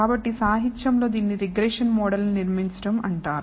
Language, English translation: Telugu, So, in literature this is known as building a regression model